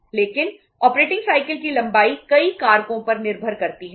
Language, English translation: Hindi, But the length of operating cycle depends on many factors